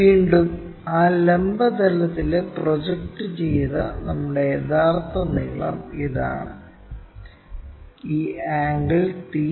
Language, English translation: Malayalam, Again our true length in that vertical plane projected one, this is the one and this angle is theta